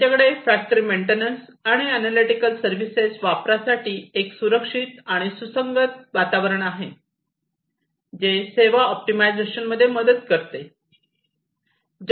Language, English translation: Marathi, They have a secure and compatible environment for use of factory maintenance, and analytical services that helps in service optimization